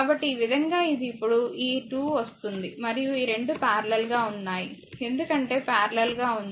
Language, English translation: Telugu, So, this way it is coming now this at this 2 at this 2 and this 2 are in parallel because there in parallel